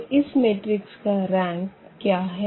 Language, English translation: Hindi, So, this augmented matrix